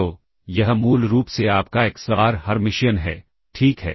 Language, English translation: Hindi, So, that is basically your xbar Hermitian, all right